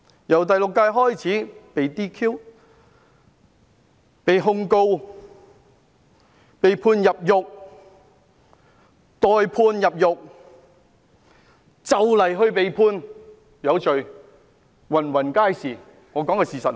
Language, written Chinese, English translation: Cantonese, 由第六屆開始，被 "DQ"、被控告、被判入獄、待判入獄、快將被判有罪的，比比皆是。, Unlike ever before the Sixth Legislative Council abounds with those disqualified prosecuted sentenced to imprisonment awaiting sentencing to imprisonment and doomed to be convicted soon